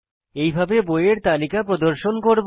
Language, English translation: Bengali, This is how we display the list of books